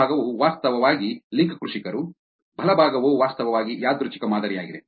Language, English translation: Kannada, The left one is actually the link farmers, the right one is actually random sample